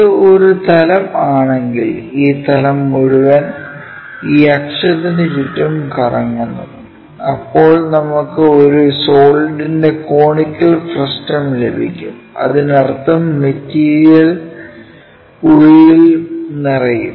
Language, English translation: Malayalam, If, it is a plane this entire plane revolves around this axis, then we will get a conical frustum of solid object; that means, material will be filled inside also